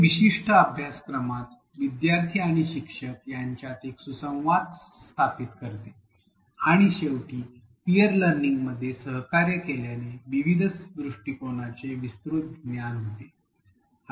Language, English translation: Marathi, It also establishes a healthy interaction between the students and the instructors within a particular course and finally, collaboration at peer learning leads to a broader understanding of diverse perspectives